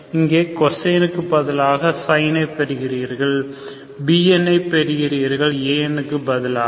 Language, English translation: Tamil, So you get sin here, instead of cos you get here bm instead of am